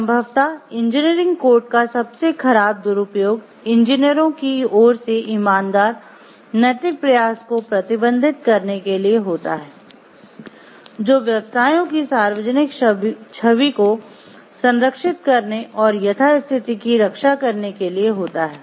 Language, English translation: Hindi, Probably the worst abuse of engineering codes is to restrict honest moral effort on the part of engineers to preserve the professions public image and protect the status quo